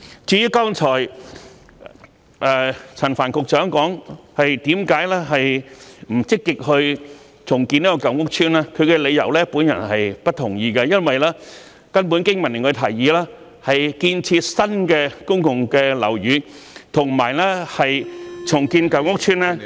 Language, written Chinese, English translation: Cantonese, 至於剛才陳帆局長解釋為何不積極重建舊屋邨，他的理由，我並不同意，因為經民聯的提議是建設新的公共樓宇，與重建舊屋邨......, Just now Secretary Frank CHAN has explained the reason for not actively carrying out redevelopment of old housing estates but I do not agree with his reasons